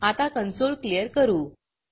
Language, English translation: Marathi, Clear the console here